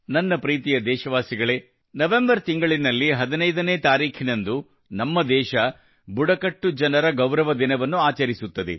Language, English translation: Kannada, My dear countrymen, on the 15th of November, our country will celebrate the Janjateeya Gaurav Diwas